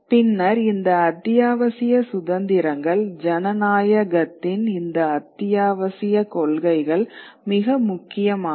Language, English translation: Tamil, These essential freedoms, these essential tenets of democracy become very, very important